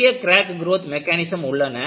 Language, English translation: Tamil, There are many crack growth mechanisms